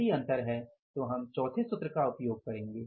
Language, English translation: Hindi, If there is any kind of the difference then we will have to apply the formula number 4